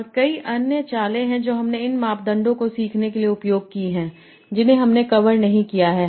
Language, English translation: Hindi, And there are many other tricks that are used for learning these parameters that we have not covered